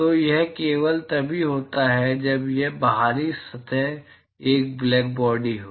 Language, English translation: Hindi, So, this is only if these outer surface is a blackbody